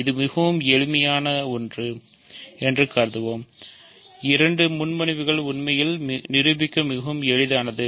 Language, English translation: Tamil, So, let us consider it is very simple both propositions are in fact, very easy to prove